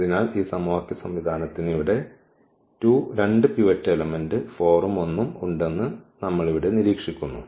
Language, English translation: Malayalam, So, for this system of equation what do observer what do we observe here that we have the 2 pivots element here 4 and also this 1